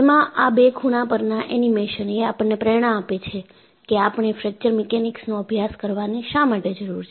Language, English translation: Gujarati, The two corner animations give the motivation, why you need to study Fracture Mechanics